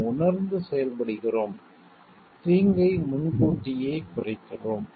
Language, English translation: Tamil, We recognize and we act towards minimizing the harm in a proactive way